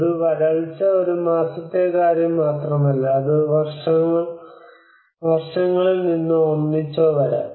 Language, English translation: Malayalam, A draught is not just only a matter of one month, it may come from years of years or together